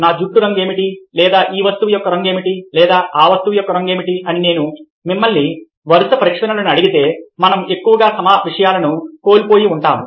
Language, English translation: Telugu, if i ask you a series of question about what is a colour of my hair, or what is the colour of this thing, or what is the colour of that thing, we mostly miss this things